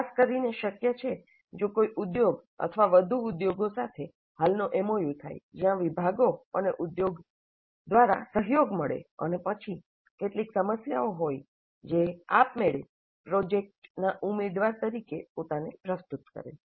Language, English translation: Gujarati, This is particularly possible if there is an existing MOU with an industry or more industries whereby the departments and the industry collaborate and then there are certain problems which automatically offer themselves as the candidates for the projects